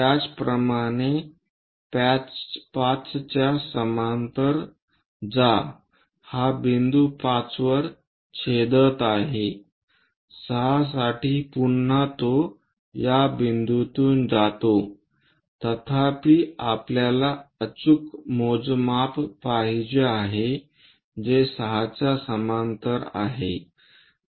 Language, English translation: Marathi, Similarly, pass parallel to 5 it is intersecting at this point P5 prime for 6 again it goes via this point; however, we want precise measurement which is going parallel to the 6